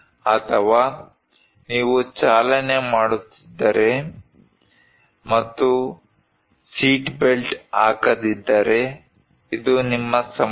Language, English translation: Kannada, Or if you are driving and not putting seatbelt, this is your problem